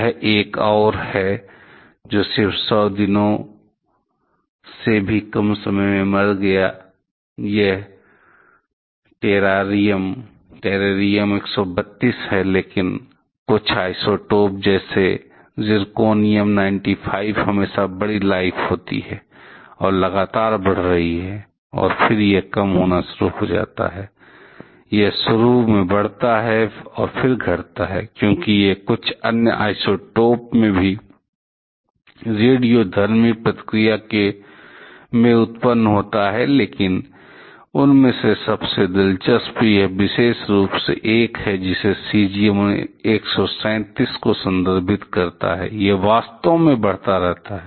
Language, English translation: Hindi, This is another one which died even earlier just to less than 100 days, this is terrarium 132, but certain isotopes continuity to have a much longer life span like zirconium 95 is a continuously increasing, and then this start to decrease, because then be lots of work with the they are maybe; it increases initially and then it decreases, because it gets produced in radioactive reaction in certain other isotopes also, but most interesting of them is this particular one, which refers to cesium 137, it actually keeps on increasing